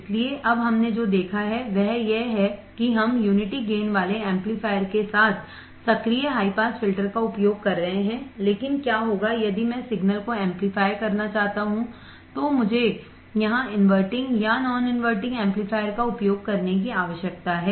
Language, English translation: Hindi, So, what we have seen now is that we are using active high pass filter with unity gain amplifier, but what if I want to amplify the signal then I need to use the inverting or non inverting amplifier here